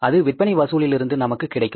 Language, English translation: Tamil, That will come from the sales collections